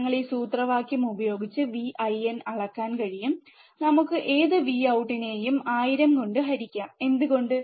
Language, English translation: Malayalam, We can measure V in by this formula, whatever V out we get divide by thousand, why